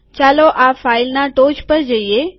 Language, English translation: Gujarati, Lets go to the top of this file